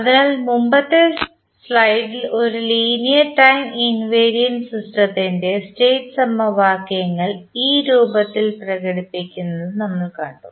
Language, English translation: Malayalam, So, here in the previous slide we have seen the state equations of a linear time invariant system are expressed in this form